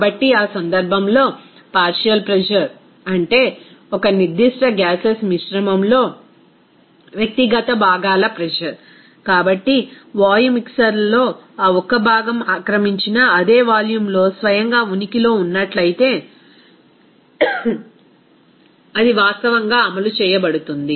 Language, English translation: Telugu, So, in that case, the partial pressure, that means individual component pressure in a particular mixture of gases, so, that can be actually exerted by that single component in a gaseous us mixer if it existed by itself in the same volume as occupied by the mixture and at the same temperature of the mixture